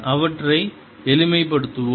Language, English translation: Tamil, let us simplify them